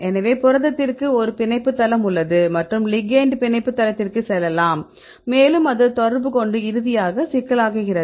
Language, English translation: Tamil, So, you have protein, protein has a binding site right and the ligand can go to the binding site, and it interact and finally make the complex